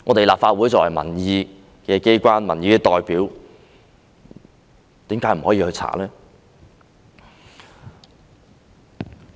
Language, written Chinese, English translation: Cantonese, 立法會作為民意機關、民意代表，為甚麼不能調查？, The Legislative Council is a body representing public opinions . Why can it not conduct an inquiry?